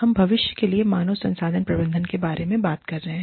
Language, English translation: Hindi, We are talking about, human resource management, for the future